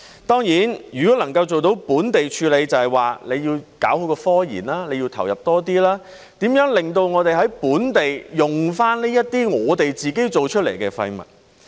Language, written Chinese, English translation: Cantonese, 當然，要做到本地處理，便要搞好科研，要投入多一點，研究如何令我們能夠在本地重用這些我們自己製造的廢物。, Certainly in order for waste to be handled locally it is necessary to properly take forward scientific research and provide greater input to study how the waste generated by ourselves can be reused locally